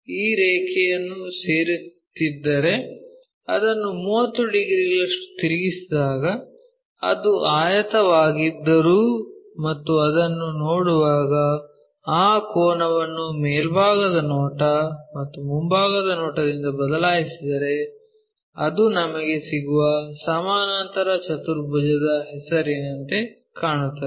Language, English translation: Kannada, If we are joining, so though it is a rectangle when we rotate it by 30 degrees and change that angle from top view and front view when we are looking at it, it looks like something namedparallelogram kind of shape we will get